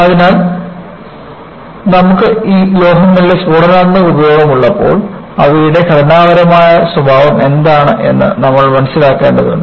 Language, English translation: Malayalam, So, when you have an explosive use of these metals, you need to understand, what is their structural behavior